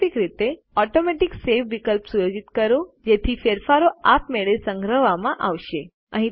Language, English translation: Gujarati, Alternately, set the Automatic Save option so that the changes are saved automatically